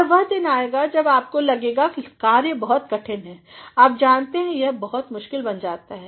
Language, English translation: Hindi, And, there comes the day when you feel that the work becomes quite difficult you know it becomes very cumbersome